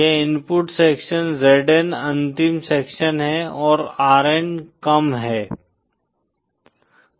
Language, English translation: Hindi, This is the input section Zn is the last section & Rn is the low